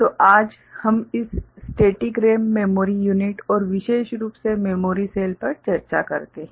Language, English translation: Hindi, So, today we discuss this static RAM memory unit and more specifically the memory cells